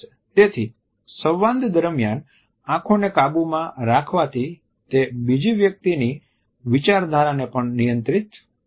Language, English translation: Gujarati, So, controlling eyes during the dialogue also controls the thought patterns of the other person